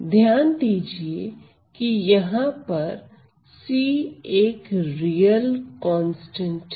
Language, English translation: Hindi, Well notice that c is a real constant